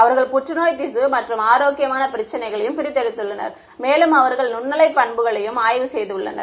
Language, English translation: Tamil, They have extracted cancerous tissue and they have extracted healthy issue and they have studied the microwave properties